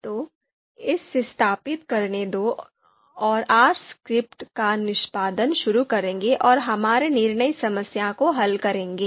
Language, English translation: Hindi, So let it install and then we will start the execution of the R script and solve our decision problem